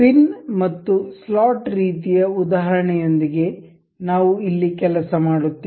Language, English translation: Kannada, We will work here with pin and slot kind of example